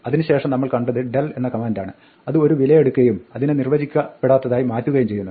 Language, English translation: Malayalam, Then we saw the command del which takes the value and undefined it